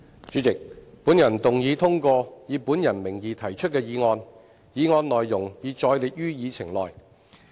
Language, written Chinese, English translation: Cantonese, 主席，本人動議通過以本人名義提出的議案，議案內容已載列於議程內。, President I move that the motion as printed under my name on the Agenda be passed